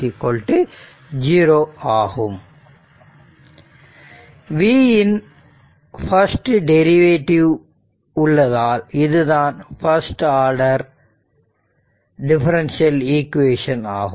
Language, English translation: Tamil, So, this is a first order differential equation, since only the first derivative of v is involved